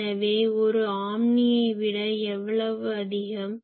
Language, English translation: Tamil, So, how much more than a omni